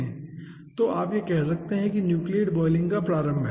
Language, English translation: Hindi, so this, you can say that this is the initiation of nucleate boiling